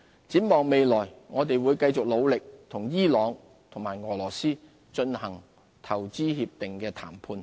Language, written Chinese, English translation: Cantonese, 展望將來，我們會繼續努力與伊朗及俄羅斯進行投資協定談判。, Looking ahead we will continue our efforts to negotiate IPPAs with Iran and Russia